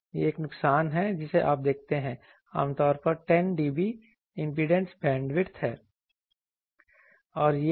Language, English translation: Hindi, This is a return loss you see typically 10 dB is the impedance bandwidth